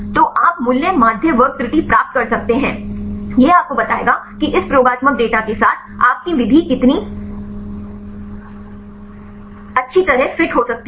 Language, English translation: Hindi, So, you can get the root mean square error; this will tell you how far your method could fits well with this experimental data